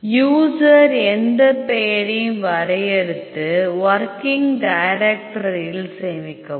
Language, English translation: Tamil, User defined any name, save in your working directory